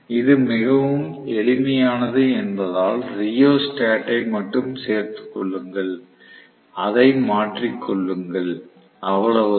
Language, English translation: Tamil, Because it is very simple, just include rheostat, keep changing it that is it, it is not a big deal